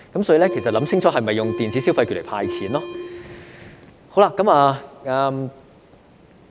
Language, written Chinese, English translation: Cantonese, 所以，政府應想清楚是否要用電子消費來"派錢"。, Thus the Government should think twice whether it should dole out cash by way of electronic consumption vouchers